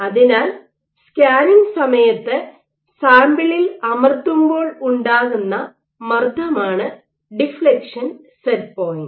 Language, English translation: Malayalam, So, deflection set point is the force with which you are proving your sample